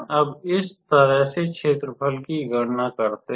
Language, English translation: Hindi, Now, let us calculate the area in this way